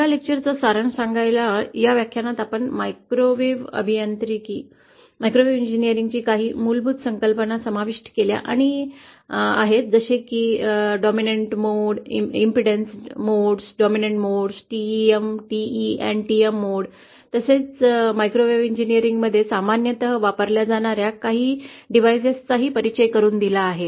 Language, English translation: Marathi, So just to summarise this lecture, in this lecture we have covered some basic concepts about microwave engineering like impedance, modes, dominant modes, TEM, TE and TM modes and also introduced some of the devices that are commonly used in Microwave engineering